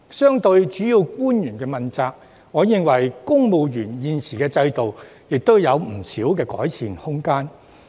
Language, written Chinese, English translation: Cantonese, 相對於主要官員問責制，我認為現時的公務員制度亦有不少改善空間。, Relative to the accountability system for principal officials in my view the existing civil service system also has much room for improvement